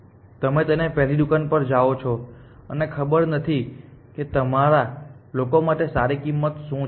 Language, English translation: Gujarati, So, you go to the first shop and let say I do not know what is the good price for you people